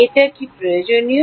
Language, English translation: Bengali, is that necessary